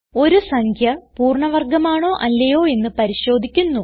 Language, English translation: Malayalam, Given a number, we shall find out if it is a perfect square or not